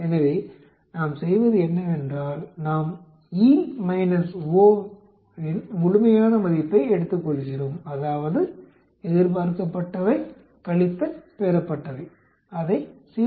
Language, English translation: Tamil, So, what we do is, we take the absolute value of E minus O that is expected minus O observed, subtract it by 0